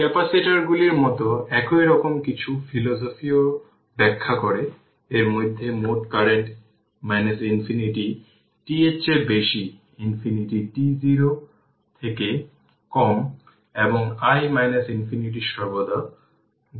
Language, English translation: Bengali, Like capacitor also we explain something same philosophy the total current for in between minus infinity t greater than minus infinity less than t 0 and i minus infinity is always take 0 right